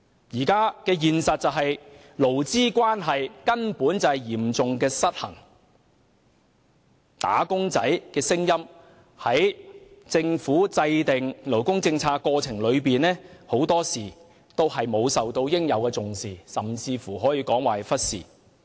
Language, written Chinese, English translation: Cantonese, 目前的現實是勞資關係嚴重失衡，"打工仔"的聲音在政府制訂勞工政策的過程中，很多時都沒有受到應有的重視，甚至可以說是被忽視。, The incident is still fresh in my mind . What we now see in reality is a serious imbalance in labour relations . The voice of wage earners is often denied the attention it deserves or even ignored in the process of formulation of labour policies by the Government